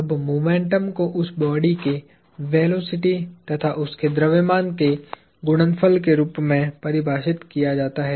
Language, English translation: Hindi, Now, momentum is defined as a product of the mass of a body times its velocity